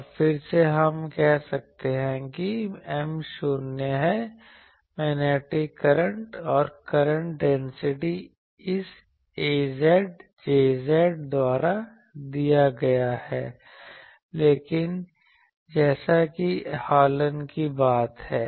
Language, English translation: Hindi, Now, again we can say that M is 0 the magnetic current and current density is given by this a z, J z, so same as Hallen’s thing